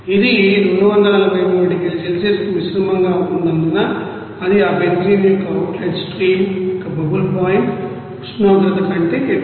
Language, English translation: Telugu, Since it is mixed to that 243 degrees Celsius of course it is you know more than that bubble point temperature of that outlet stream of that benzene